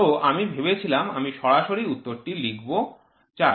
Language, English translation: Bengali, So, I thought I will write directly the answer 4